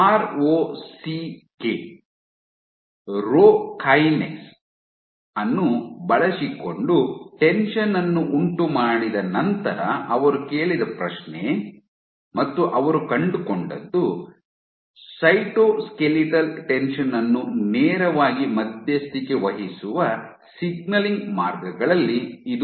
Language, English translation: Kannada, So, the perturb tension using, you have ROCK, Rho Kinase is one of the signaling pathways which directly mediates Cytoskeletal Tension